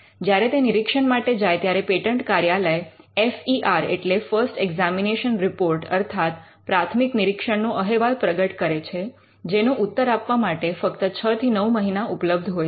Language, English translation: Gujarati, When it gets into examination, the patent office issues and FER, the first examination report which gives just 6 months or at best 9 months to reply